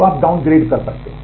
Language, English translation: Hindi, So, you can download